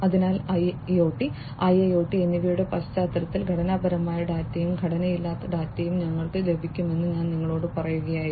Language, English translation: Malayalam, So, I was telling you that in the context of IoT, IIoT, etcetera we will get both structured data as well as unstructured data